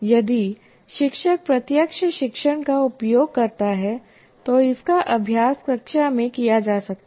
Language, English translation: Hindi, And in direct teaching, if you use direct, if the teacher uses direct teaching, it can be practiced in the class